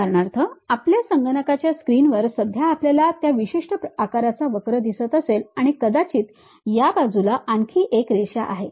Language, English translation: Marathi, For example, on our computer screen right now we might be having a curve of that particular shape, and perhaps there is one more line on this edge